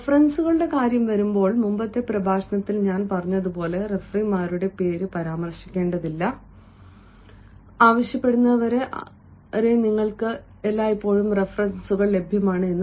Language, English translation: Malayalam, when it comes to references, as i said in the previous lecture, it is better not to mention the name of referees unless and until asked for